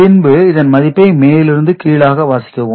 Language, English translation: Tamil, And then we read it from top to bottom